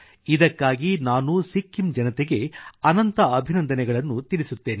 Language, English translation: Kannada, For this, I heartily compliment the people of Sikkim